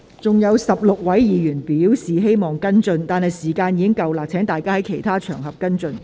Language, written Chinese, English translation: Cantonese, 尚有16位議員正在輪候提問，但這項口頭質詢的時限已到，請各位議員在其他場合跟進。, Sixteen Members are still waiting for their turn to ask questions but the time limit for this oral question is up . Will Members please follow it up on other occasions